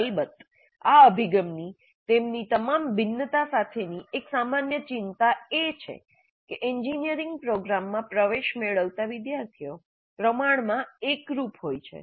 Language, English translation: Gujarati, Of course, one common concern with this approach, with all its variations also, is that students admitted to an engineering program are relatively homogeneous